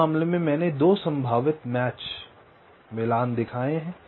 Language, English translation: Hindi, so in this case i have showed two possible matchings